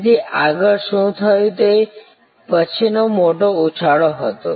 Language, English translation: Gujarati, So, what happened next was the next big jump